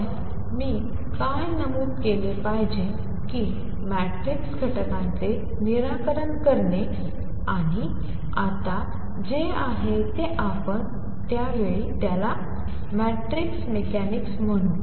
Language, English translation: Marathi, But what I should point out that solving for matrix elements and what is now we will call matrix mechanics at that time was a very tough job